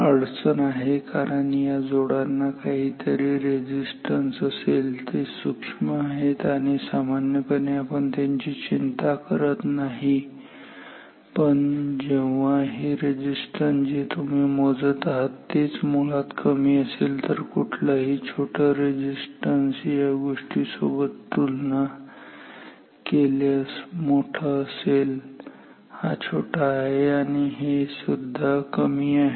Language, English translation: Marathi, The problem is due to the fact that the contacts these contacts have some resistances they are small they are small and generally we do not bothered about them, but when these resistance which you are measuring itself is small then anything small compared to this resistance is significantly large this is small this is also small